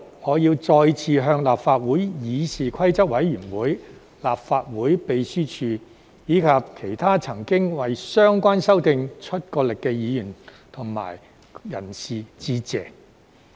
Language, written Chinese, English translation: Cantonese, 我要在此再向立法會議事規則委員會、立法會秘書處，以及其他曾經為相關修訂出過力的議員及人士致謝。, Here I would like to express my gratitude again to the Committee on Rules of Procedure CRoP of the Legislative Council the Legislative Council Secretariat and other Members and parties who have contributed to the relevant amendments